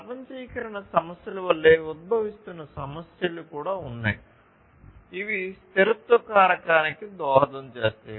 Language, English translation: Telugu, Emerging issues are also there like the globalization issues which also contribute to the sustainability factor